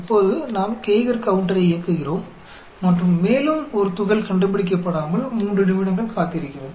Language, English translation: Tamil, Now, we turn on the Geiger counter, and wait for 3 minutes without detecting a particle